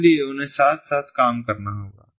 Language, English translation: Hindi, so they have to work hand in hand